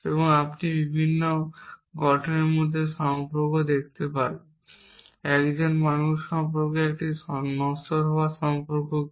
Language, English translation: Bengali, And you can look at the relation between the different constitutes what is the relation between of being between being a man and being a mortal